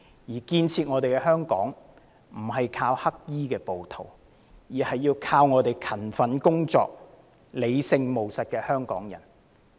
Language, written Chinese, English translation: Cantonese, 要建設香港，靠的不是黑衣暴徒，而是勤奮工作、理性務實的香港人。, The development of Hong Kong does not depend on black - clad rioters but those Hong Kong people who are hardworking rational and pragmatic